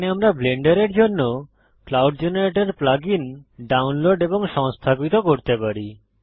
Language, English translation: Bengali, Here we can download and install the cloud generator plug in for Blender